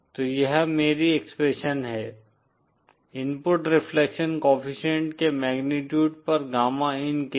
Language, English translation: Hindi, So this is my expression for the gamma in on the magnitude of the input reflection co efficient